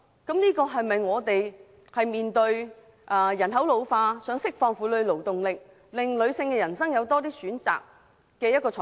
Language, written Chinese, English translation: Cantonese, 本港面對人口老化的問題，應釋放婦女勞動力，令女性的人生有更多選擇。, Given the population ageing in Hong Kong it is necessary to unleash the labour force of women and offer women more choices in their life